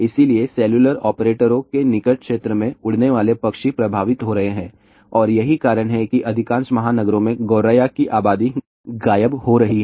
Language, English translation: Hindi, So, birds flying in the near zone of the cellular operators are getting affected and that is why sparrows populations are disappearing in most of the metropolitan cities